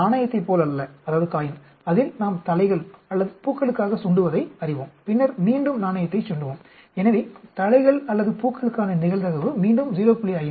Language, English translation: Tamil, Unlike a coin, know we toss heads or tails, then again we toss the coin, so probability is again heads or tails is 0